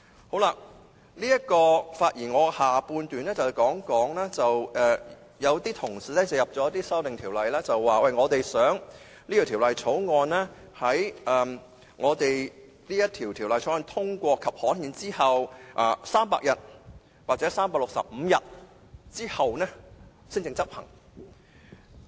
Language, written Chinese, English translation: Cantonese, 我發言的下半部分會談到一些同事提出的修正案，內容是希望《條例草案》在獲得通過及刊憲後的300天或365天才執行。, In the latter half of my speech I will say a few words about the hope expressed by Honourable colleagues in their proposed amendments for the Bill be not implemented until 300 or 365 days after it has been passed and gazetted